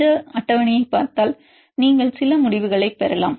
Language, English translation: Tamil, If you see this table you can derivate some conclusions